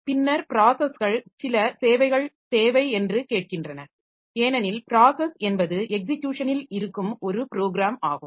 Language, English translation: Tamil, Then processes that they also require some services because processes are programmed under execution